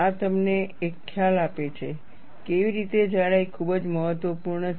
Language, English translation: Gujarati, This gives you an idea, how the thickness is very important